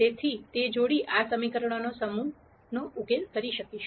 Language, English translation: Gujarati, So, that pair would be a solution to this set of equations